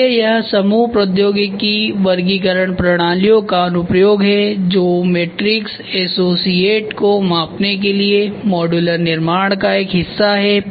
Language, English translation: Hindi, So, that is what is the application of group technology classification systems which is part of modularity construction of the associate to measure matrix associate to measure matrix